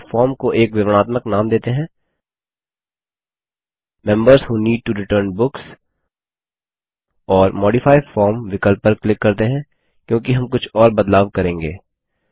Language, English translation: Hindi, Here let us give a descriptive name to our form: Members Who Need to Return Books And let us click on the Modify form option, as we are going to do some more changes